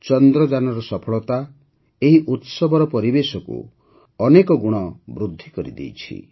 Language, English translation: Odia, The success of Chandrayaan has enhanced this atmosphere of celebration manifold